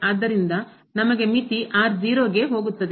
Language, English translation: Kannada, So, we have limit goes to 0